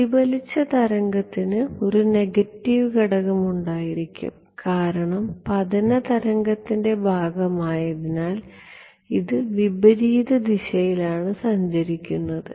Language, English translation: Malayalam, The reflected wave will have a negative component because, this travelling in the opposite direction as the incident part right